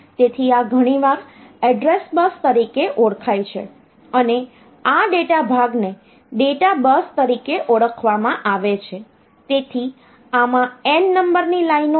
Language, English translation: Gujarati, So, this is often known as address bus and this data part is known as the data bus, so this is having n number of lines